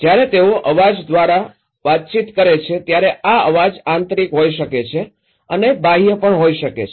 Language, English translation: Gujarati, When they are communicating with the noise, this noise could be internal and also could be external